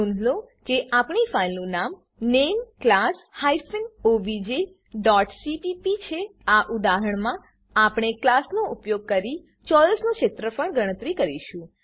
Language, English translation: Gujarati, Note that our filename is class hyphen obj dot cpp In this example we will calculate the area of a square using class